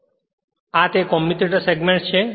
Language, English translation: Gujarati, So, this is commutator component